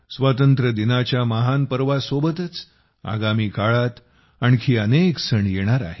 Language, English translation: Marathi, Along with the great festival of Independence Day, many more festivals are lined up in the coming days